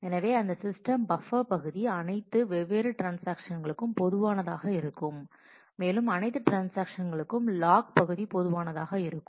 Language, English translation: Tamil, So, that system buffer area the that area would be common for all different transactions, also the log area would be common for all transactions